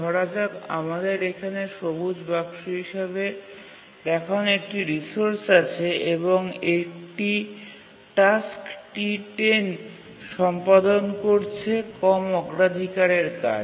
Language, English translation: Bengali, We have a resource shown as a green box here and we have a task T10 which is executing